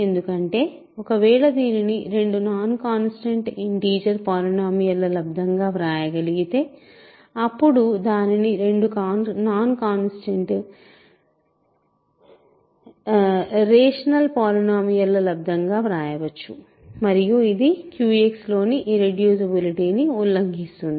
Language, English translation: Telugu, Because, if it can be written as a product of two non constant integer polynomials then it can be written as a product of two non constant rational polynomials violating the irreducibility in Q X